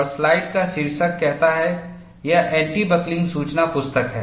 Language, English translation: Hindi, And, the title of the slide says, it is anti buckling guide